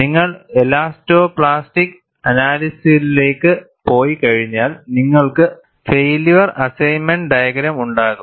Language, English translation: Malayalam, Once you go to elastoplastic analysis, you will have failure assessment diagram